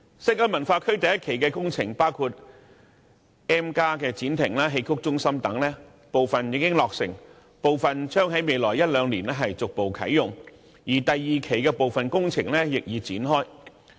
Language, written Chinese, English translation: Cantonese, 西九文化區第一期的工程包括 M+ 展亭、戲曲中心等，部分已經落成，部分將在未來一兩年逐步啟用，而第二期的部分工程亦已展開。, The construction works in phase one of the WKCD include M Pavilion Xiqu Centre etc . Some of these facilities have been completed and some will be open to the public gradually in one to two years . As for construction works of phase two some have already commenced also